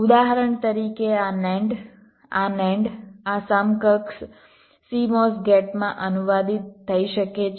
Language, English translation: Gujarati, for example, this nand, this nand can get translated into this equivalent cmos gate